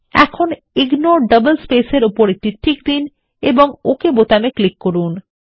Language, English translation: Bengali, Now put a check on Ignore double spaces and click on OK button